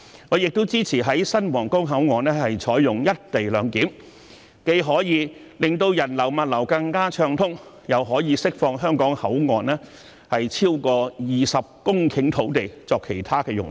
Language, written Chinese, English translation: Cantonese, 我亦支持在新皇崗口岸採用"一地兩檢"，既可以令人流和物流更暢通，又可以釋放香港口岸超過20公頃土地作其他用途。, I also support the implementation of co - location arrangements at the new Huanggang control point which can facilitate a smoother flow of people and goods as well as release over 20 hectares of land at the Hong Kong control point for other uses